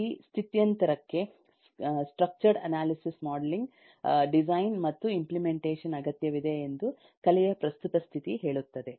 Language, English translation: Kannada, the present state of the art say that this transition of art is structured analysis, modeling, design and implementation